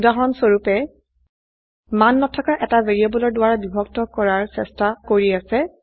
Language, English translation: Assamese, For example: Trying to divide by a variable that contains no value